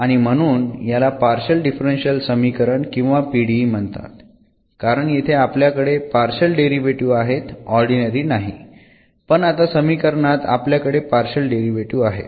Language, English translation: Marathi, And therefore, this is called the partial differential equation or PDE, because here we the partial derivatives not the ordinary, but we have the partial derivatives, now in the equation